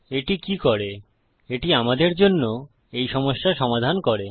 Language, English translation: Bengali, What this does is, it fixes this problem for us